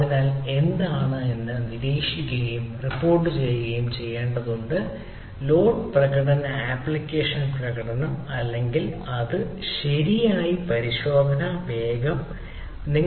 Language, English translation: Malayalam, so what should be monitored and reported, for example, load performance, application performance or what should be metered right